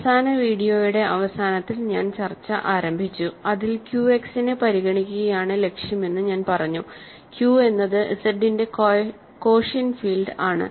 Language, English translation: Malayalam, And I started the discussion in the, at the end of the last video, in which I said that goal really is to consider Q X, Q is the quotient field of Z